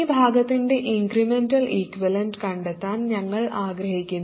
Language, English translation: Malayalam, So if we do that, we have to draw the incremental equivalent of this